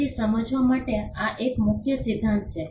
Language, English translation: Gujarati, So, this is a key principle to understand